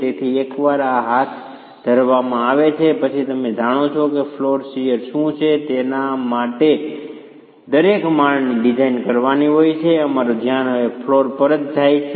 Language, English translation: Gujarati, So, once this is carried out, you know what is the flow shear that each floor has to be designed for, our focus now shifts to the floor itself